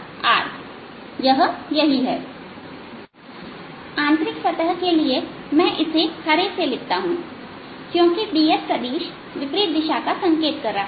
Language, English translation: Hindi, so for the inner surface, let me write it with green, since d s vector is pointing in the opposite direction